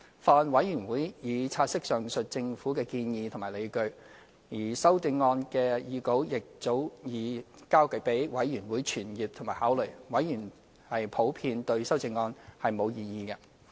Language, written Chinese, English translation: Cantonese, 法案委員會已察悉上述政府的建議和理據，而修正案的擬稿亦早已交予法案委員會傳閱和考慮，委員普遍對修正案並無異議。, The Bills Committee noted the Governments aforementioned position and rationale and the proposed amendment was submitted to the Bills Committee well in advance for circulation and consideration . Members in general have not raised any objection to the amendment